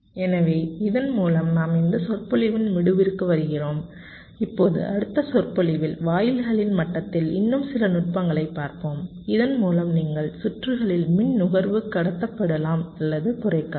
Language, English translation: Tamil, now in the next lecture we shall be looking at some more techniques at the level of gates by which you can control or reduce the power consumption in the circuit